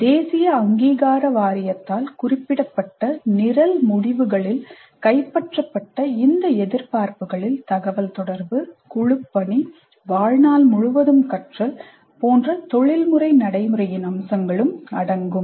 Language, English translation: Tamil, These expectations as captured in the program outcomes specified by the National Board of Accretation include aspects of professional practice like communication, teamwork, life learning, lifelong learning, etc